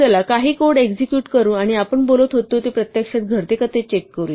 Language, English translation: Marathi, Let us execute some code and check that what we have been saying actually happens